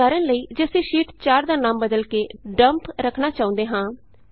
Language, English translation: Punjabi, Now for example, if we want to rename Sheet 4 as Dump